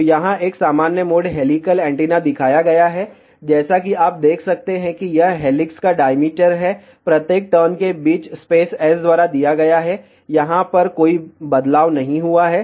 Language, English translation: Hindi, So, here a normal mode helical antenna is shown, as you can see this is the diameter of helix spacing between each turn is given by S, there is no change over here